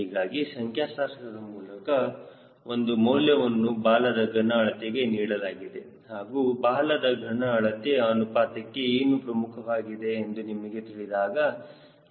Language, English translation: Kannada, so statistical, some value i will be giving for tail volume ratio, and you know what its importance of tail volume ratio